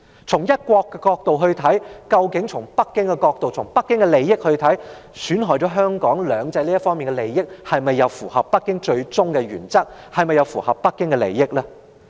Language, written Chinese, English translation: Cantonese, 從"一國"的角度來看或從北京的利益和角度來看，損害"兩制"的利益，是否符合北京的原則和利益呢？, From the perspectives of one country or the interests of Beijing is harming the interests of two systems in line with Beijings principles and interests?